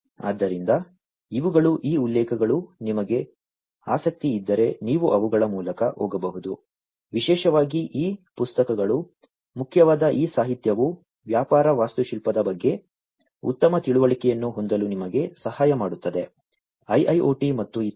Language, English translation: Kannada, So, these are these references if you are interested you may go through them particularly these books are important this literature this will help you to have better understanding about the business architecture, in the context of IIoT and so on